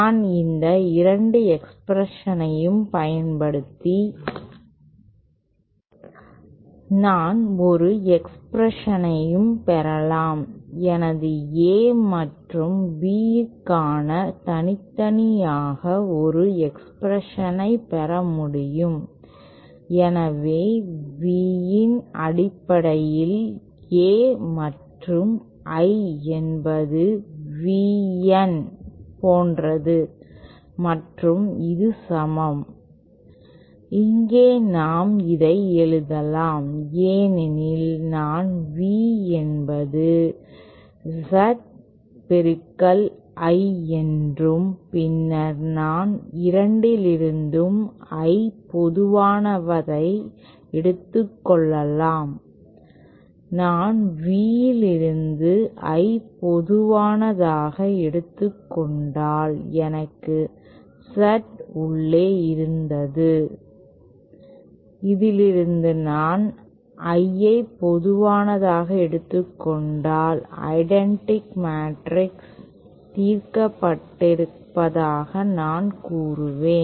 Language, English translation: Tamil, I can also derive an express by, I can derive an expression for my A and B individually, so A in terms of v and I is VN like this and this is equal toÉHere we can write this because I have resolved V as equal to Z times I and so then I can take I common from both the 2 if I take I common from V then I had Z inside and if take I common from this I will say you have the identity matrix resolved